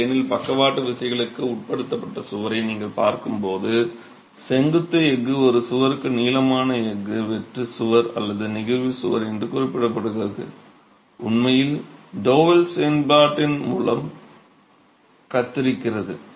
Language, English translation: Tamil, When you look at a wall subjected to in plain lateral forces, the vertical steel, what is referred to as the longitudinal steel for a wall, a shear wall or a flexural wall actually carries shear by double action